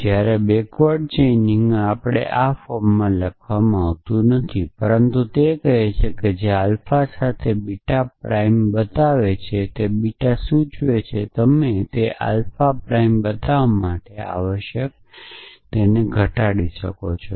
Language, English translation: Gujarati, Whereas, backward chaining we are not written the it in this form, but it says that which show beta prime man with alpha implies beta you can reduce it to show alpha prime essentially